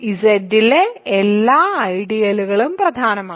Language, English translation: Malayalam, Every ideal in Z is principal